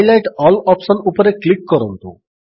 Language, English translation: Odia, Click on Highlight all option